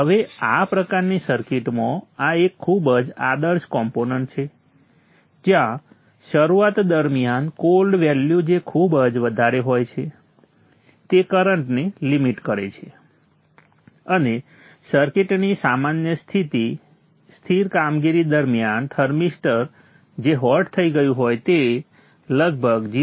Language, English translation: Gujarati, 5 oms now this is a significant drop now this is a very ideal component to have in this kind of a circuit where during the start up the cold value is very high limits the current and during the normal steady operation of the circuit the thermister which would have become hot imposes impedance of around 0